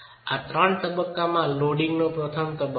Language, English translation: Gujarati, This is the first stage of a three stage loading